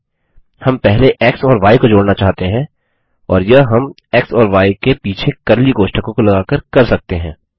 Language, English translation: Hindi, No, we want to add x and y first, and we can do this, by introducing curly brackets around x and y